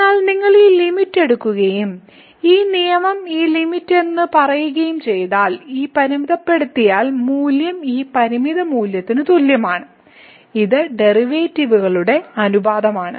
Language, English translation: Malayalam, But if you take this limit and this rule says that this limit, this limiting value is equal to this limiting value which is the ratio of the derivatives